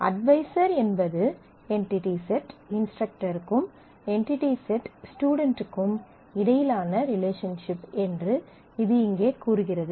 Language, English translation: Tamil, So, here it says that advisor is a relationship between entity set instructor, and entity set student